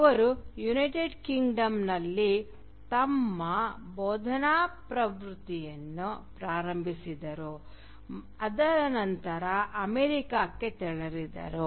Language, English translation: Kannada, He started his teaching career in the United Kingdom but then moved on to America